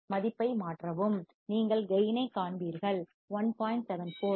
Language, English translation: Tamil, Substitute the value and you will see gain of 1